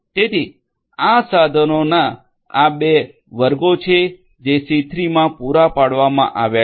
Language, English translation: Gujarati, So, these are the two classes of tools that have been provided in C3